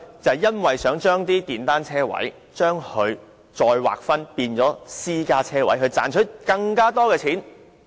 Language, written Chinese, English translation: Cantonese, 這是因為想把電單車車位再劃分為私家車車位，以賺取更多錢。, Because it wanted to redesignate the motorcycle parking spaces as parking spaces for private vechicles in order to make more profit